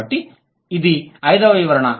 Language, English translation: Telugu, So, that's the fifth explanation